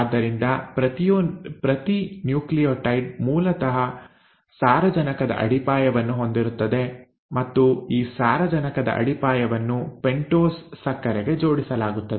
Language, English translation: Kannada, So each nucleotide basically has a nitrogenous base and this nitrogenous base is attached to a pentose sugar